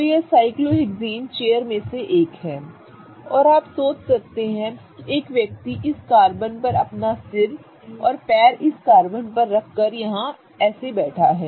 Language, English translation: Hindi, So, this is one of the cyclohexane chairs and you can imagine that a person is sitting here with his head on this carbon and the legs on this carbon